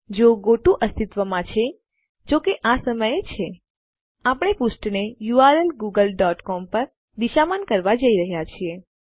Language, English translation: Gujarati, If the goto exists, which it currently does, we are going to redirect the page to a u r l google dot com